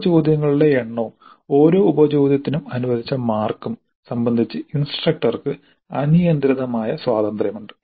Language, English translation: Malayalam, Practically it's arbitrary, the instructor has unrestricted freedom with respect to the number of sub questions and the marks allocated to each sub question